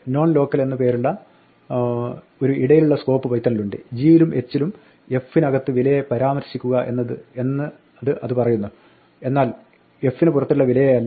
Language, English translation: Malayalam, Python has an intermediate scope called non local which says within g and h refer to the value inside f, but not to the value outside f